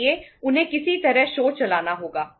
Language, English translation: Hindi, So they have to run the show somehow